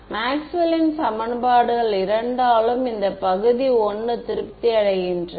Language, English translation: Tamil, In region I Maxwell’s equations is satisfied by both